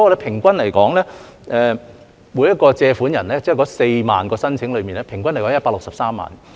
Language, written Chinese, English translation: Cantonese, 例如百分百特惠低息貸款 ，4 萬宗申請的平均借款為163萬元。, For example among the 40 000 applications for the special 100 % low - interest concessionary loan the average loan amount is 1.63 million